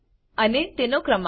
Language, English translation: Gujarati, and its number